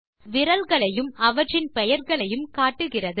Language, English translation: Tamil, It displays the fingers and their names